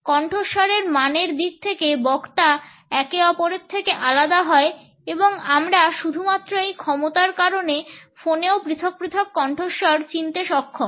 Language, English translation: Bengali, Speakers differ from each other in terms of voice quality and we are able to recognize individual voice even on phone because of this capability only